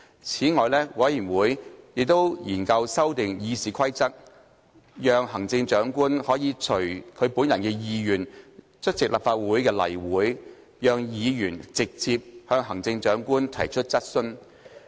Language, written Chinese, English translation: Cantonese, 此外，委員會亦研究修訂《議事規則》，讓行政長官可以隨其本人意願出席立法會例會，讓議員直接向行政長官提出質詢。, Furthermore the Committee also studied the proposal to amend the Rules of Procedure so that the Chief Executive may attend regular Council meetings on hisher own volition allowing Members to put questions directly to the Chief Executive